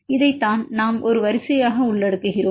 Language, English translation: Tamil, This is what we include a sequence